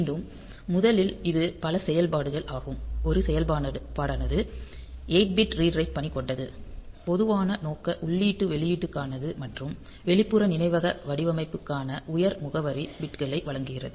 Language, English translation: Tamil, So, again this is multi functional first of all; one function is 8 bit read write operation for general purpose input output or the it also provides the higher address bits for the external memory design